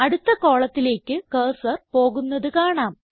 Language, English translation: Malayalam, You see that the cursor comes on the next page